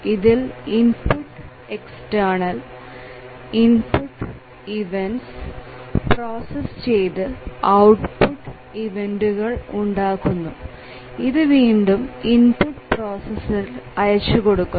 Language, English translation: Malayalam, And there are input external input events, it processes and produces output event and that is again fed back to the input processor